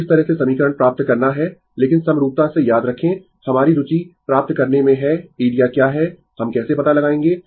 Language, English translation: Hindi, So, in this way you have to get the equation, but remember from the symmetry our interest to get what is the area right how we will find out